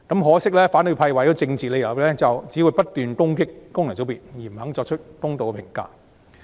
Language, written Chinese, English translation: Cantonese, 可惜，反對派為了政治理由只會不斷攻擊功能界別，不肯作出公道的評價。, Regrettably for political reasons the opposition camp will only keep attacking FCs unwilling to give them a fair deal